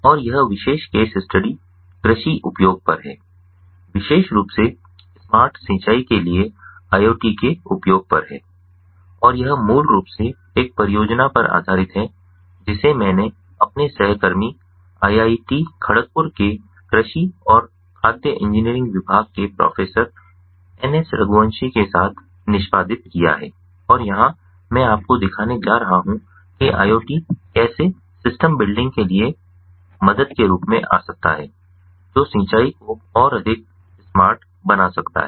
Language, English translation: Hindi, so agricultural use of iot, more specifically, on use of iot for smart irrigation, and this is basically based on a project that i have executed along with my colleague, professor n s raghuwanshi, from the department of agriculture and food engineering of our institute, iit, kharagpur, and here i am going to show you how iot can come as an help for, as as help for ah building systems that can make irrigation smarter